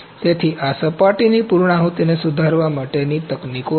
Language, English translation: Gujarati, So, these are the techniques to improve the surface finish